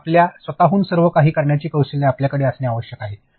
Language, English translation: Marathi, And you need to have those skills to do everything on your own